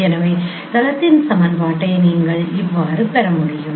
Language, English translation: Tamil, So, this is how you can get the equation of a plane